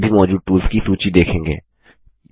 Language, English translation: Hindi, You will see a list of all the available tools